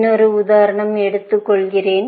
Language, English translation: Tamil, Let me take another example